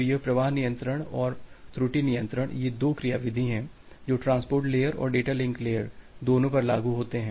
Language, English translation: Hindi, So, this flow control and error control these are the two mechanism which are implemented both at the transport layer and the data link layer